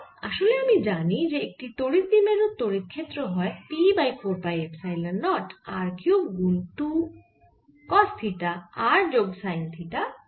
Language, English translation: Bengali, because i know, i know that for a point dipole the electric field was p by four pi epsilon naught r cube two cos theta, r plus sine theta theta